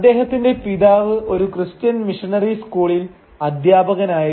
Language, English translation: Malayalam, And his father was a teacher at a Christian missionary school